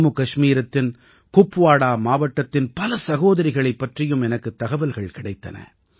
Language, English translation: Tamil, I have also come to know of many sisters from Kupawara district of JammuKashmir itself